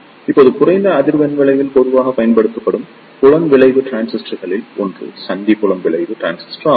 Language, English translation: Tamil, Now, one of the commonly used Field Effect Transistor at low frequency is Junction Field Effect Transistor